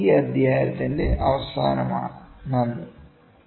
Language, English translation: Malayalam, With this we come to an end for this chapter